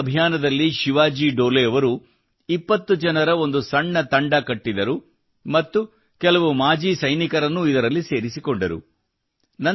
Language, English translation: Kannada, In this campaign, Shivaji Dole ji formed a small team of 20 people and added some exservicemen to it